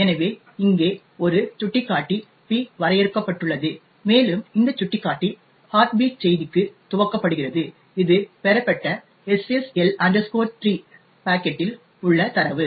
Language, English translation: Tamil, So, we have here a pointer P which is defined, and this pointer is initialised to the heartbeat message that is the data present in the SSL 3 packet which was obtained